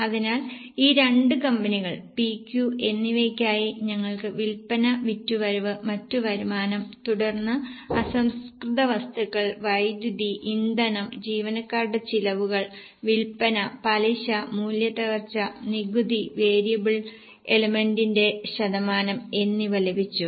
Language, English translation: Malayalam, So, for these two companies P and Q we have got sales turnover, other income, then raw material, power, fuel, employee costs, selling, interest, depreciation, taxes